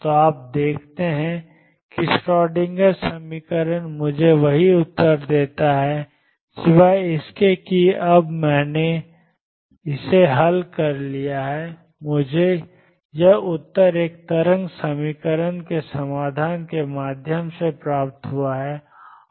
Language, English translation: Hindi, So, you see Schrödinger equation gives me the same answer except, now that I have solved it now I have obtained that answer through the solution of a wave equation